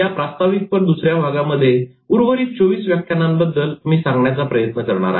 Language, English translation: Marathi, In this second part of the introduction, I will try to talk about the remaining 24 lectures